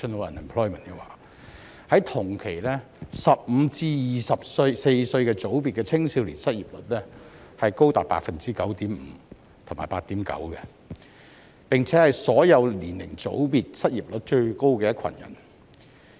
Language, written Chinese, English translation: Cantonese, 不過，同期15歲至24歲組別的青少年失業率則高達 9.5% 及 8.9%， 並且是所有年齡組別中失業率最高的一群人。, Yet the unemployment rates of young people aged 15 to 24 for the same period were as high as 9.5 % and 8.9 % which are the highest among various age groups